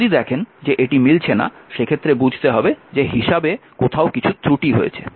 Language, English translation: Bengali, If you see something is not matching then somewhere something has gone wrong in calculation